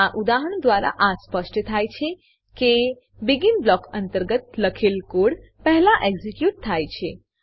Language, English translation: Gujarati, From this example, it is evident that: The code written inside the BEGIN blocks gets executed first